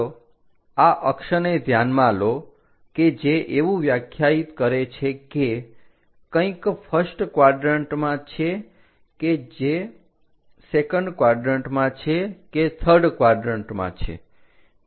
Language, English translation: Gujarati, Let us consider these are the axis which are going to define whether something is in first quadrant or second quadrant or third quadrant